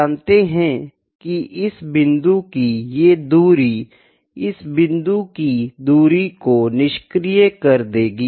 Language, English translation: Hindi, You know, this distance let me say this point would cancel almost this point, ok